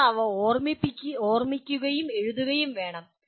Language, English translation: Malayalam, You have to recall them and write